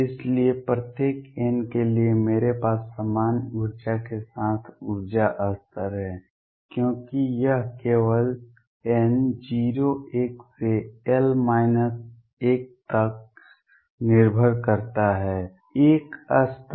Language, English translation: Hindi, So, for each n I have energy levels with the same energy because it depends only on n 0 1 up to l minus 1; l levels